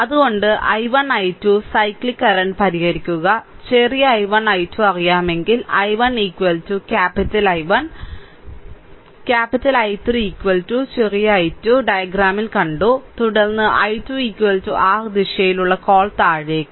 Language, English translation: Malayalam, So, you solve for i 1 i 2 cyclic current right and if small i 1 i 2 is known, then i 1 is equal to capital I 1 is equal to small i 1, we have seen then capital I 3 is equal to small i 2, we have seen in the diagram and then i 2 is equal to your what you call in the direction is downwards